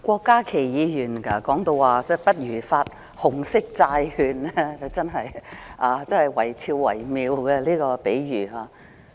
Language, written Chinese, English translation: Cantonese, 郭家麒議員說不如發行紅色債券，他這個比喻真的維肖維妙。, Dr KWOK Ka - ki suggested that red bonds might as well be issued . What a wonderful analogy it is